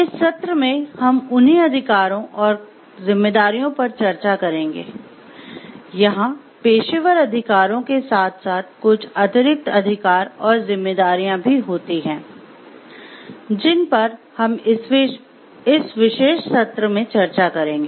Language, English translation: Hindi, So, they along with the professional rights, these will be there some extra rights and responsibilities that we will be discussing in this particular session